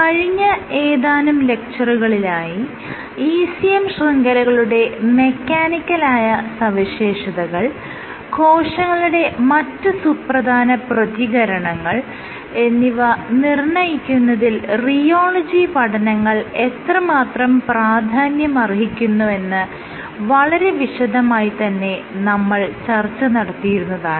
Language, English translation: Malayalam, So, in the last few lectures I had discussed how rheology of ECM networks has a huge importance in dictating their mechanical properties, and in shipping the overall responses of the cells